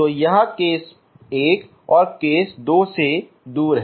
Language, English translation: Hindi, So that is away from the case 1 and case 2